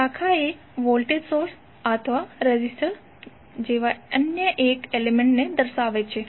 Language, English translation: Gujarati, Branch represents a single element such as voltage source or a resistor